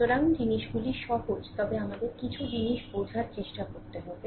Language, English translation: Bengali, So, things are simple, but we have to try to understand certain things right